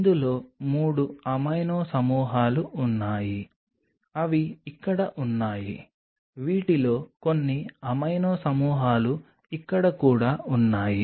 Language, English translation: Telugu, It has 3 of these amino groups which are present here also few of these amino groups present here also